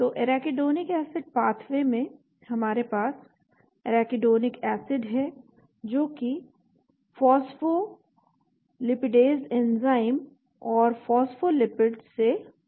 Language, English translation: Hindi, So the Arachidonic acid pathway we have the Arachidonic acid which is produced by phospholipidase enzymes and from phospholipids